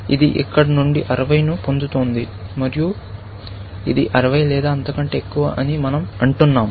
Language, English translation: Telugu, This one is getting 60 from here, and we say, it is 60 or more, essentially